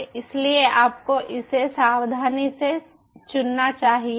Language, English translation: Hindi, you should select it carefully